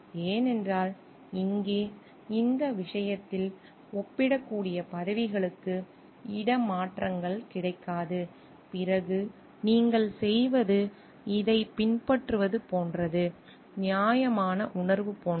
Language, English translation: Tamil, Because here in this case no transfers to comparable positions are available then what you do is like following this is a like a sense of fairness